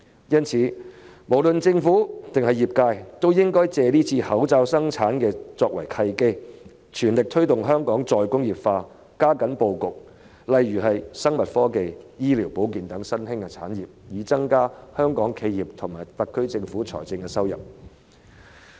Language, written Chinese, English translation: Cantonese, 因此，無論政府還是業界，均應以這次口罩生產作為契機，全力推動香港再工業化，加緊規劃生物科技、醫療保健等新興產業的布局，以增加香港企業和特區政府的財政收入。, For this reason both the Government and the industry should take the opportunity of mask production this time around to fully promote Hong Kongs re - industrialization and step up the planning of the layout of emerging industries such as biotechnology and health care so as to increase the fiscal revenue contributed by Hong Kong enterprises to the SAR Government